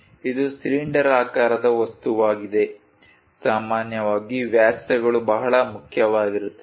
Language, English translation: Kannada, It is a cylindrical object, usually the diameters matters a lot